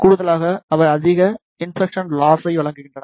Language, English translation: Tamil, Additionally they provide the high insertion loss